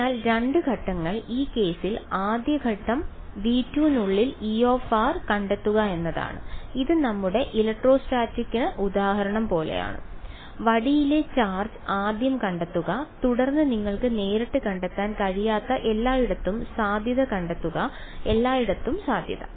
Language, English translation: Malayalam, So, the 2 steps are in this case the first step is find E of r inside v 2, this was like our electrostatic example we had of the charge on the rod first find the charge then find the potential everywhere you cannot directly find the potential everywhere